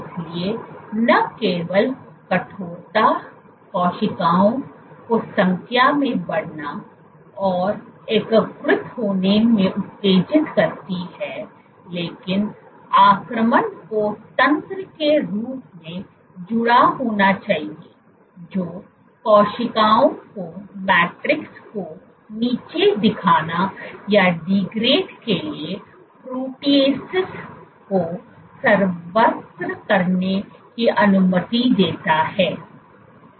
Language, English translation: Hindi, So, not only the stiffness stimulates cells to start to proliferate and start to integrate, but the invasion must be associated with as mechanism which allows cells to secrete proteases to degrade the matrix